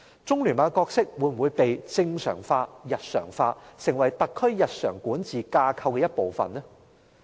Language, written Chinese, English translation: Cantonese, 中聯辦的角色會否被正常化、日常化，成為特區日常管治架構的一部分？, Will the role of the Liaison Office be normalized be connected with our daily activities or be incorporated into part of the regular governing structure of SAR?